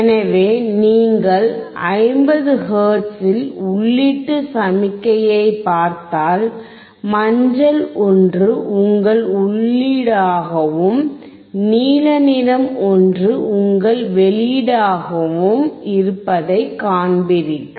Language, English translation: Tamil, So, if you see input signal at 50 hertz, you see the yellow one is your input, and the blue one is your output, you see that for the input of 5 V, the output is 1